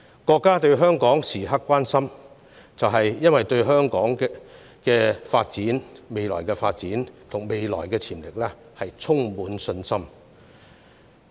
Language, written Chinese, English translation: Cantonese, 國家時刻關心香港，正因對香港未來的發展潛力充滿信心。, The State is concerned about Hong Kong all the time precisely because it has confidence in the potential of our citys future development